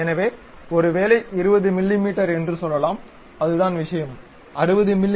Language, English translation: Tamil, So, maybe let us say 20 mm, then that is the thing; maybe 60 mm we would like to specify